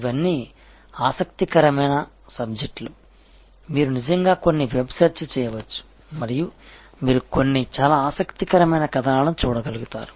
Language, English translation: Telugu, And all these are interesting subjects on which, you can actually do some web search and you would be able to read some, quite a view interesting articles